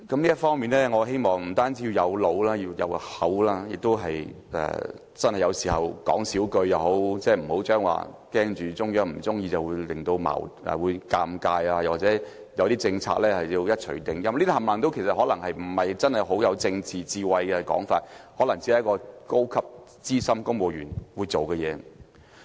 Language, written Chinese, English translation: Cantonese, 這方面，我希望這個特首不單要有腦，還要有口，有時候亦要少說話，不要怕中央不高興，感到尷尬或對某些政策要一錘定音，因為這全部可能不是很有政治智慧的說法，可能只是一名高級、資深公務員會做的事。, Yet the person holding the position also has to be frugal with his or her words in some circumstances without being afraid of upsetting or embarrassing the Central Authorities . Likewise this person may have to refrain from setting the tone for certain policies as it may not be really wise politically to make such remarks . In fact this will perhaps be done only by a senior or experienced civil servant